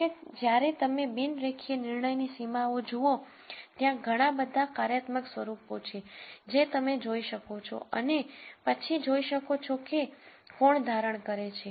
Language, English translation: Gujarati, However, when you look at non linear decision boundaries, there are many many functional forms that you can look at and then see which one holds